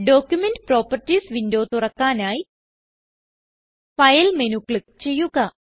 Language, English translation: Malayalam, To open Document Properties window, click on File menu